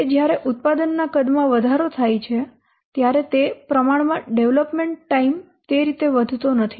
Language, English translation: Gujarati, That when the product size increases in what, in which proportion the development time does not increase in that way